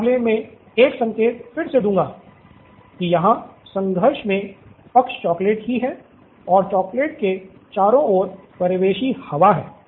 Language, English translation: Hindi, Again a hint in this case would be that the parties in conflict is the chocolate itself and the ambient air around the chocolate